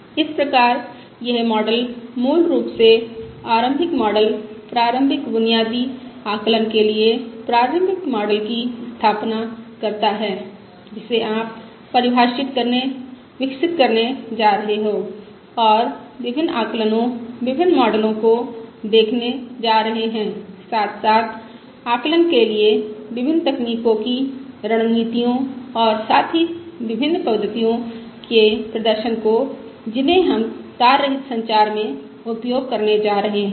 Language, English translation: Hindi, So this model basically sets up the initial model, the initial basic, the preliminary model for estimation, which you are going to define, develop and look at different estimation [tech], different models, as well as different techniques strategies for estimation of these parameters and as well as the performance of the various schemes that we are going to use for estimation in wireless communication, Both in Wireless Cell Network and also in Wireless Sensor Network